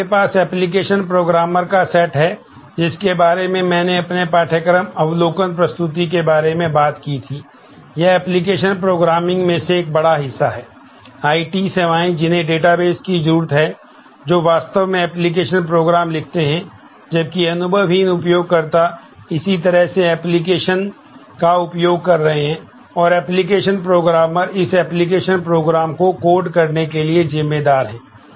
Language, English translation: Hindi, Then, you have the set of application programmers, about whom I talked about in my course overview presentation, that application programming is a big chunk of you know, IT services that databases need, who actually write the application programs, while the naive user is similarly using it application programmers are responsible for writing coding this application program